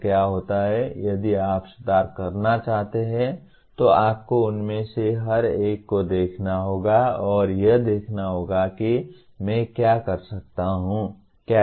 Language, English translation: Hindi, So what happens, if you want to improve you have to look at each one of them and to see how, what is it that I can do